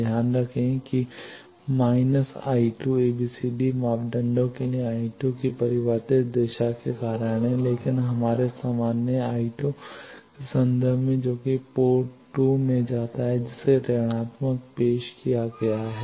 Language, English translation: Hindi, Again note that minus I 2 because of the changed direction of I 2 for ABCD parameters, but in terms of our usual I 2 which goes into the port 2 that minus has been introduced